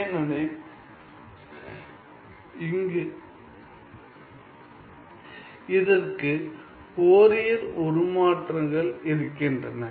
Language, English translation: Tamil, Now, well so that is my Fourier transform